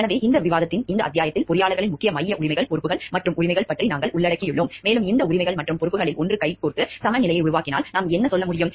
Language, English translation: Tamil, So, in this chapter in this discussion we have covered about the major central rights, responsibilities and rights of the engineers, and what we can say like if one of the these rights and responsibilities go hand in hand and we have to make a balance of these rights and responsibilities so, that we can address our duties in a proper way